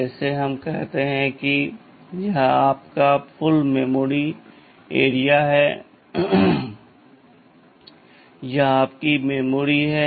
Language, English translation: Hindi, Like let us say this is your total memory area, this is your memory